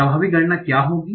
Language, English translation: Hindi, What will be the effective count